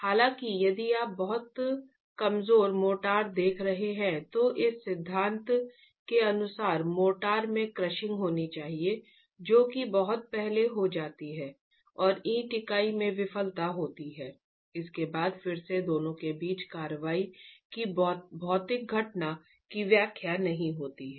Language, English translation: Hindi, However, if you are looking at very weak motors, then as per this theory, you should have crushing in the motor that happens quite early on and the failure in the brick unit that happens after, which again does not really explain the physical phenomenon of co action between the two